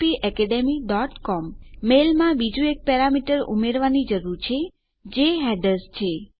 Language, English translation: Gujarati, Inside our mail we need to add another parameter now which is headers